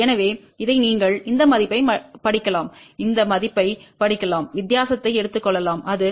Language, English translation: Tamil, So, this you can just see read this value, read this value take the difference and that comes out to be L 1 equal to 0